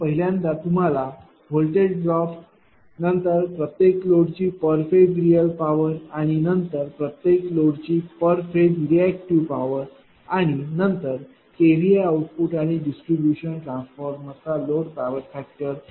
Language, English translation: Marathi, So, first I will so you have to find out voltage drop the real power per phase of each load and then c reactive power per phase of each load and number d K V output and load power factor of the distribution transformer